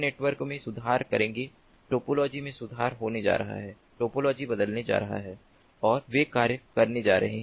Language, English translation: Hindi, the topology is going to be reformed, the topology is going to be changed and they are going to function